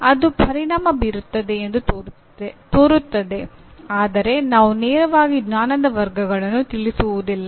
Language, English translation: Kannada, It seems to be affecting that but they do not directly address the Knowledge Categories